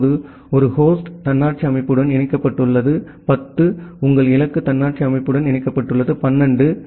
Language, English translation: Tamil, Now, one host is connected to autonomous system 10 your destination is connected to autonomous system 12